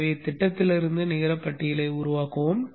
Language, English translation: Tamil, So let us generate the net list from the schematic